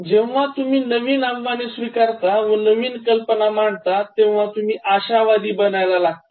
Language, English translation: Marathi, As you open up to new ideas and challenges, you will become optimistic